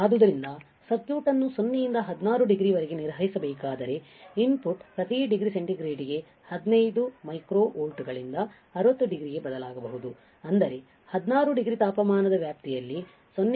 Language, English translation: Kannada, So, if the circuit has to be operated from 0 to 16 degree the input could change by 15 micro volts per degree centigrade in to 60 degree which is 0